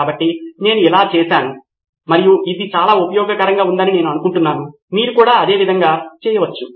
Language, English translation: Telugu, So that is I went through it and I found it to be very useful, you can do it the same way as well